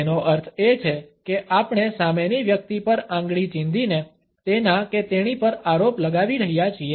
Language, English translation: Gujarati, It means that we are accusing the other person by pointing the finger at him or her